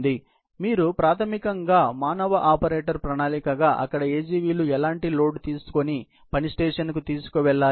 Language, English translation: Telugu, So, you basically, as a human operator plan; where he AGVs need to take what kind of load and deliver to work station